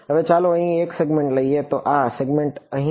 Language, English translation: Gujarati, Now, let us take one segment over here, so, this segment over here